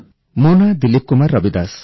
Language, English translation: Odia, DILIP KUMAR RAVIDAS